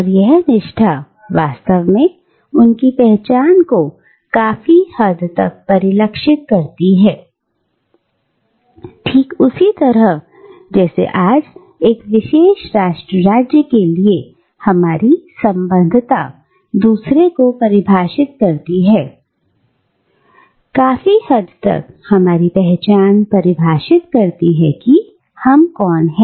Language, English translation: Hindi, And this allegiance, in fact, would define their identity to a large extent, just like today our affiliation to one particular nation stateor another defines, to a large extent, our identity, defines who we are